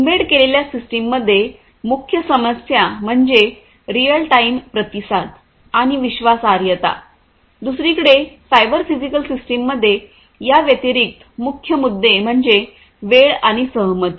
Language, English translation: Marathi, In an embedded system, the main issues are real time response and reliability, on the other hand in a cyber physical system in an addition to these the main issues are timing and concurrency